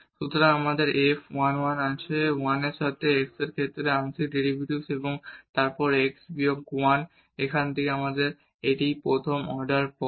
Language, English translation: Bengali, So, we have f 1 1, the partial derivative with respect to x at 1 1 and then x minus 1 from here to here these are the first order terms